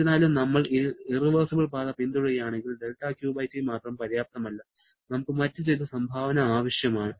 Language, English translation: Malayalam, However, if we are following an irreversible path, then del Q/T alone is not sufficient rather, we need some other contribution